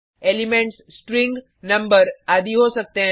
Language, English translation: Hindi, Elements can be string, number etc